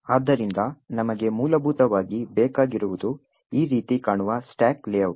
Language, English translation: Kannada, So, what we need essentially is the stack layout which looks something like this